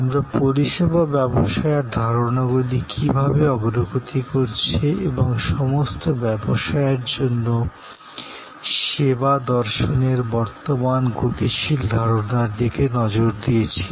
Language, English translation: Bengali, We looked at how service business concepts are progressing and the current dynamic concept of service as a philosophy for all business and so on